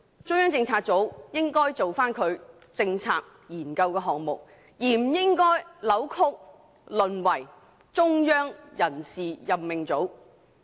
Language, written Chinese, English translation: Cantonese, 中央政策組應該專注於他們的政策研究項目，而不應該被扭曲，淪為"中央人事任命組"。, CPU should focus on its policy research projects . It should not be distorted and rendered into a Central Appointment Unit